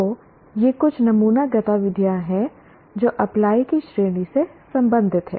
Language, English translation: Hindi, So these are some sample activities that belong to the category of apply